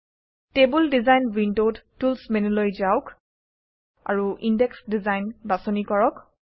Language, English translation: Assamese, In the table design window, let us go to the Tools menu and choose Index Design